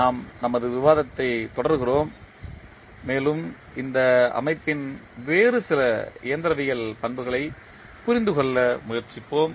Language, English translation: Tamil, We continue our discussion and we will try to understand some other mechanical properties of this system